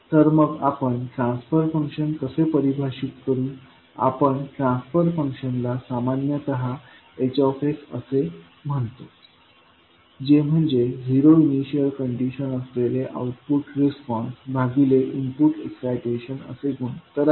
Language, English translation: Marathi, So, how we will define the transfer function transfer function, we generally call it as H s, which is nothing but the ratio of output response to the input excitation with all initial conditions as zero